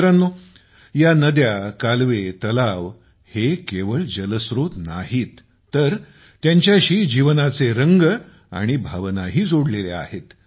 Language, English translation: Marathi, Friends, these rivers, canals, lakes are not only water sources… life's myriad hues & emotions are also associated with them